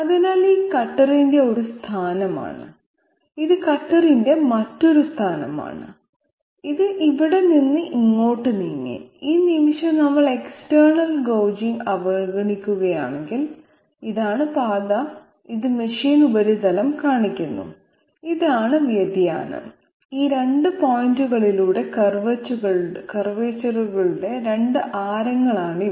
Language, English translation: Malayalam, So this is one position of the cutter, this is another position of the cutter, it has moved from here to here and if we ignore external gouging at this moment then this is the path, which shows the machine surface, this is the deviation, these are the 2 radii of curvature at these 2 points